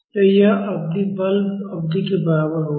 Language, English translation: Hindi, So, this period will be equal to the forcing period